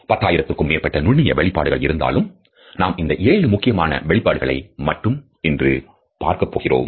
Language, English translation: Tamil, Field, there are over 10,000 micro expressions, but today we are only going to be talking about the seven major ones